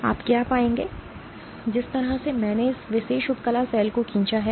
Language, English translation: Hindi, What you will find is the way I have drawn this particular epithelial cell